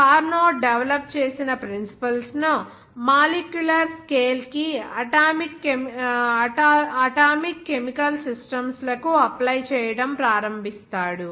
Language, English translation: Telugu, Clausius, he begins to apply the principles that are developed by Carnot to chemical systems atomic to the molecular scale